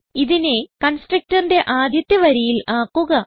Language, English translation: Malayalam, So make it the first line of the constructor